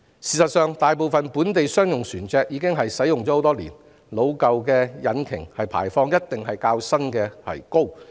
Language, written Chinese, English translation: Cantonese, 事實上，大部分本地商用船隻已使用多年，其老舊引擎的排放量肯定較新的為高。, In fact as most of the local commercial vessels have been in use for many years the emissions from their aged engines are certainly higher than those from newer ones